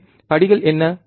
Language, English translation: Tamil, So, what are the steps